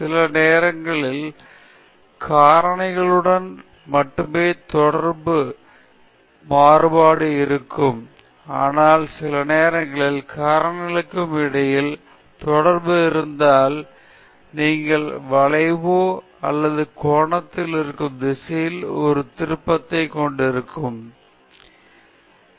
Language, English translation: Tamil, Sometimes, there can be only linear variation with the factors but, sometimes if there is interaction between the factors then you have a curvature or a twist in the planar response curve